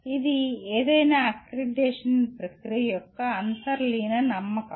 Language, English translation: Telugu, That is the underlying belief of any accreditation process